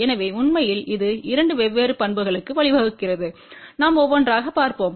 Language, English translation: Tamil, So, actually speaking it leads to two different properties we will just see one by one